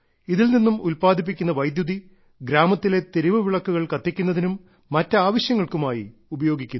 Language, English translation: Malayalam, The electricity generated from this power plant is utilized for streetlights and other needs of the village